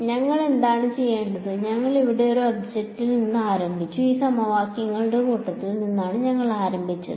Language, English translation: Malayalam, What have we done we started with an object over here and we started with these sets of equations